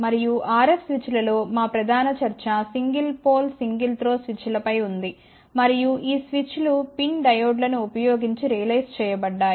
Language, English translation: Telugu, And in the R s switches our main discussion was on the single pole single throw switches and these switches had been realized using pin diodes